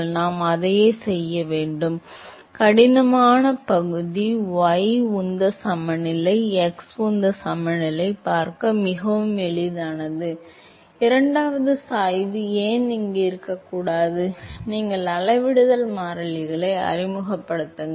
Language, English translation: Tamil, So, we have to do exactly the same, the tough part is the y momentum balance, x momentum balance is very easy to see, why the second gradient is should not be present here, you simply introduce the scaling variables